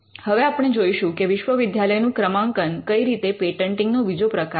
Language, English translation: Gujarati, Now we will see this when we look at the ranking of universities how it is type 2 patenting